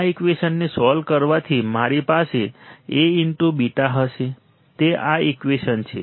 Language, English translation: Gujarati, And solving this equation what will I have A beta equals to this equation right